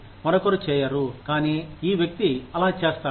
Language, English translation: Telugu, Somebody else does not, but this person does